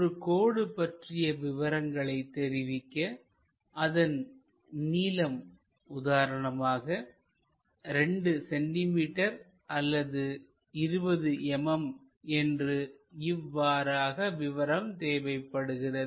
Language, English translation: Tamil, To represent a line, we require length something like it is 2 centimeters 20 mm and so on